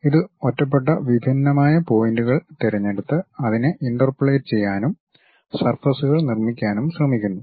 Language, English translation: Malayalam, It picks isolated discrete points try to interpolate it and construct surfaces